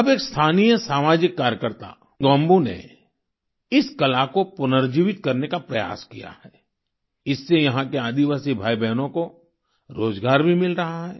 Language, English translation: Hindi, Now a local social worker Gombu has made an effort to rejuvenate this art, this is also giving employment to tribal brothers and sisters there